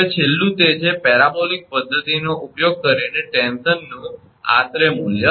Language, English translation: Gujarati, Now, last one is that approximate value of tension by using parabolic method